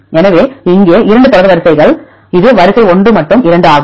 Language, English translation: Tamil, So, here is the 2 sequences this is sequence 1 this is 2